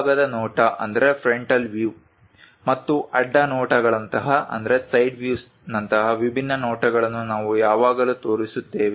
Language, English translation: Kannada, We always show its different views like frontal view and side views